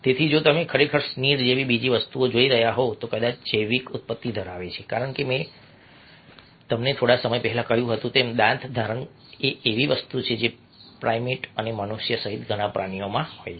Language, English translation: Gujarati, ok, so if you are really looking at some of the other things, like sneer, this has probably biological origin because, as i told you a little earlier, bearing teeth is something which is there amongst many animals, including a primates and human beings